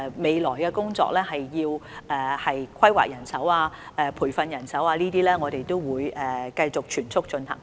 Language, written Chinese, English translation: Cantonese, 未來的工作涉及人手規劃及培訓，我們會繼續全速進行。, The task in the days ahead involves manpower planning and training . We will continue to take it forward in full swing